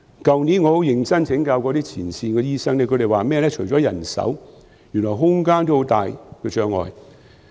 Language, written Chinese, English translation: Cantonese, 去年我很認真請教前線醫生，他們說除了人手，原來空間也有很大障礙。, Last year I asked the frontline doctors seriously . According to them the problem lies not only in manpower but also in the lack of space